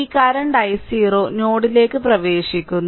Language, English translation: Malayalam, So, this current i 0 is also entering into the node right